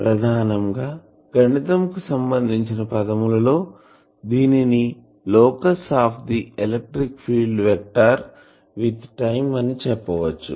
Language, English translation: Telugu, Basically in mathematical terms we can say the locus of the electric field vector with time